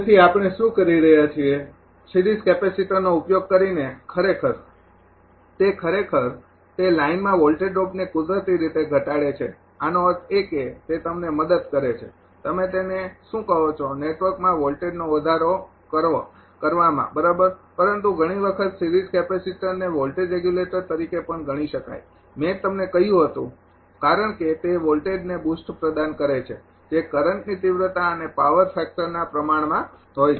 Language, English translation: Gujarati, So, what we are doing; using series capacitor actually it actually it ah reduces the voltage drop in the line naturally it; that means, it is helping to ah your what you call the voltage increase in the network right, but at times series capacitor can even be considered as a voltage regulator I told you because that provides for a voltage boost which is proportional to the magnitude and power factor of the through current right; because Q c is equal to I square x c